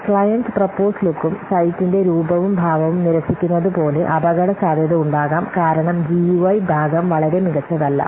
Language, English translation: Malayalam, The possible risks could be like the client rejects the proposed look and proposed look and fill up the site because the UI part is not very good